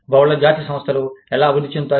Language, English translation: Telugu, How do multinational enterprises, develop